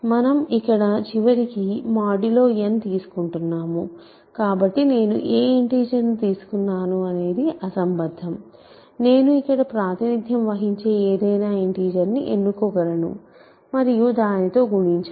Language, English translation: Telugu, So, because we are going modulo n at the end what integer I choose to represent here is irrelevant, I can choose any integer that represents here and multiply by that